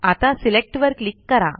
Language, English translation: Marathi, Now click on Select